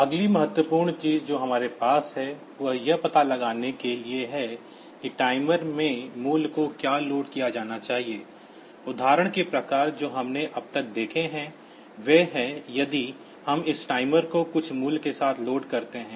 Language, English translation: Hindi, The next important thing that we have is to find out the what value should be loaded into the timer, the type of examples that we have seen so far, they are if we load this timer with some value